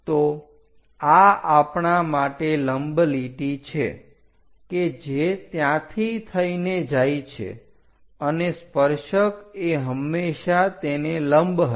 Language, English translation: Gujarati, So, this will be the normal line for us which is going via that and tangent always be perpendicular to that that will be tangent